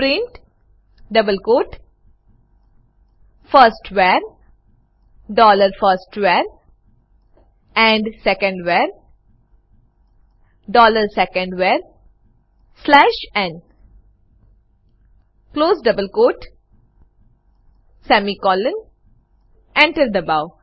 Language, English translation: Gujarati, Now to print these values, type print double quote firstVar: dollar firstVar and secondVar: dollar secondVar slash n close double quote semicolon press Enter